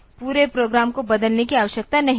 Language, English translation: Hindi, So, I do not need to change the entire program